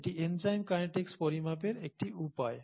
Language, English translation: Bengali, So this is one way of quantifying enzyme kinetics